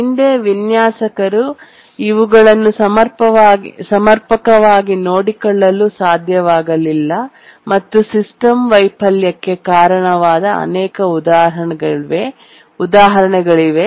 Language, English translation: Kannada, In the past, there have been many examples where the designers could not adequately take care of this and resulted in system failure